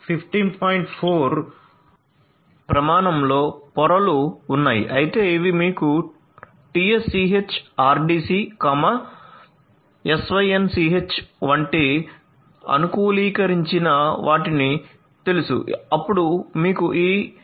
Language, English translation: Telugu, 4 standard that we have talked about earlier, but these you know customized ones like the TSCH RDC, SYNCH then you have this 802